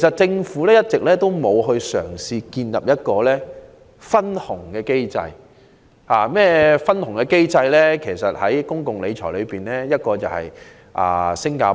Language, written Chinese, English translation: Cantonese, 政府一直沒有嘗試建立一個分紅機制，而在公共理財併入這種機制的一個例子是新加坡。, The Government has never tried to set up a profit sharing mechanism and the practice adopted in Singapore is an example of incorporating such a system into public finance management